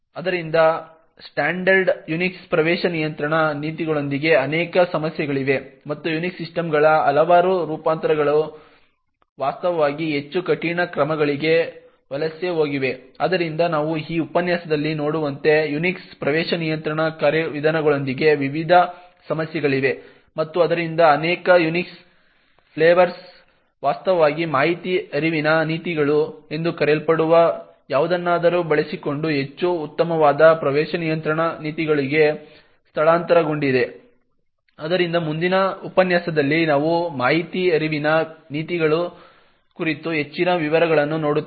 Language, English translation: Kannada, So therefore there are multiple issues with standard Unix access control policies and there are several variants of Unix systems which have actually migrated to more stringent measures, so as we see in this lecture there are various problems with the Unix access control mechanisms and therefore many Unix flavours has actually migrated to a much better access control policies using something known as information flow policies, so in the next lecture we look at more details about information flow policies